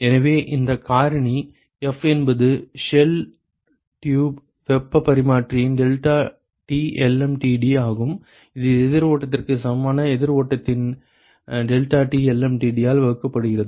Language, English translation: Tamil, So this factor F which is basically the deltaT lmtd of the shell tube heat exchanger divided by deltaT lmtd of a counter flow equivalent counter flow ok